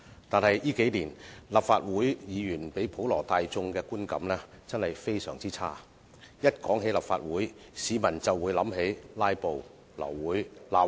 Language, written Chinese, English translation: Cantonese, 但是，近年來，立法會議員給普羅大眾的觀感真的非常差，一談及立法會，市民便會想起"拉布"、流會、吵架、扔東西。, However in recent years Legislative Council Members have really given a very bad impression to the public . Whenever the Legislative Council is mentioned members of the public will think of filibusters abortion of meetings quarrels throwing objects and so on and so forth